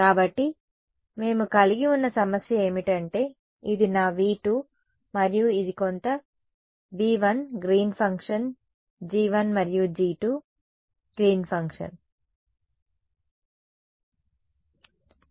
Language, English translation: Telugu, So, what was the problem that we had this was my V 2 and this was my V 1 right which had some g 1 Green’s function and g 2 Green’s function ok